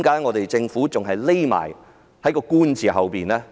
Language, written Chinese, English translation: Cantonese, 為何政府繼續躲在"官"字之後呢？, Why does the Government continue to hide behind the bureaucracy?